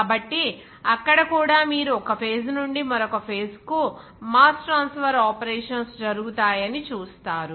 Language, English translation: Telugu, So, there also you will see that there will be some transfer of mass from one phase to the phase